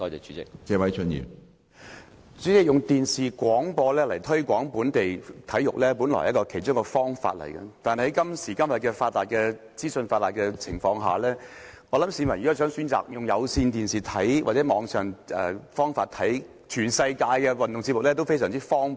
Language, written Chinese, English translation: Cantonese, 主席，透過電視廣播推廣本地體育運動，本來是其中一個可行方法，但是今天資訊發達，市民想從電視或網上電視收看全世界的運動節目，也是非常方便。, President television broadcasting is basically a feasible way of promoting local sports . But we must realize that in the information age nowadays people can conveniently view programmes of sports events all over the world both on television or on the web